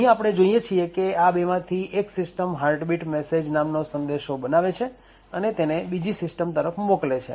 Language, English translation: Gujarati, So, what we see over here is that one of these systems would create something known as the Heartbeat message and send that message to the other system